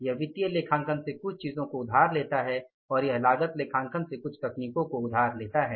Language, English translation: Hindi, It borrows some of the information or some of the techniques from financial accounting and it borrows some of the techniques from the cost accounting